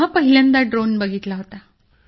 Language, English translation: Marathi, So till then had you ever heard about drones